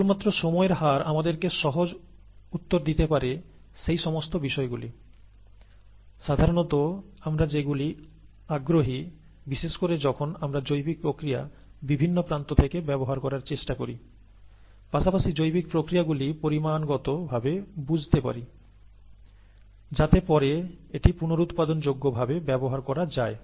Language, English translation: Bengali, Only rate, time rates would provide us with easy answers to aspects that we are usually interested in, especially when we are trying to use biological systems for various different ends, as well as understand biological systems quantitatively so that it can be reproducibly used later on